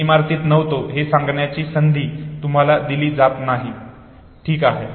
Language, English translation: Marathi, You are not given the opportunity to declare that I was not available in the building, okay